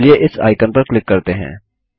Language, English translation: Hindi, Let us click on this icon